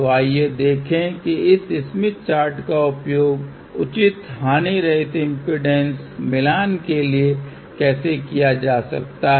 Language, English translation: Hindi, So, let us see how this smith chart can be used for proper lossless impedance matching